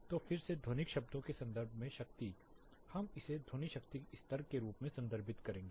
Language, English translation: Hindi, So, again power in terms of acoustical terms we will refer it as sound power level